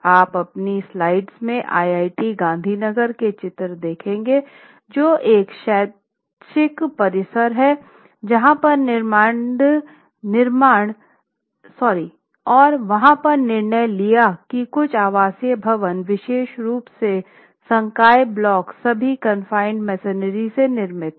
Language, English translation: Hindi, You will see in my slides a number of photographs which are from IIT Gandhneagher which is an educational campus which has decided that some of the residential buildings there particularly the faculty blocks are all confined masonry constructions